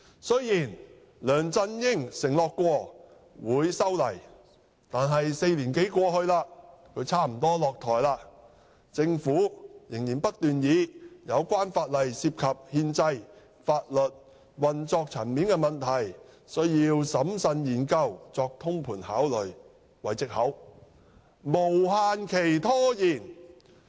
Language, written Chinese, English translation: Cantonese, 雖然梁振英曾承諾修例，但4年多過去，他差不多也落台了，政府仍然不斷以有關法例修訂涉及憲制、法律和運作層面的問題，需要審慎研究及作通盤考慮為藉口，無限期拖延。, While LEUNG Chun - ying has undertaken to introduce legislative amendments more than four years have passed and he is about to step down and yet the Government has continued to procrastinate indefinitely on the pretext that these legislative amendments involve constitutional legal and operational issues that require careful studies and comprehensive consideration . In fact such an amendment exercise absolutely should not be complicated